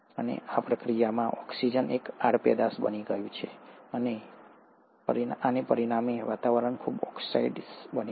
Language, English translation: Gujarati, And in the process of this, oxygen became a by product and as a result the atmosphere becomes highly oxidized